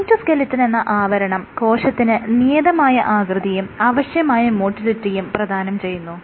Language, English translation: Malayalam, So, the cytoskeleton establishes and maintains the cell shape it aids in cell motility